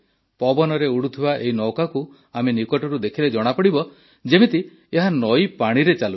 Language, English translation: Odia, When we look closely at this boat floating in the air, we come to know that it is moving on the river water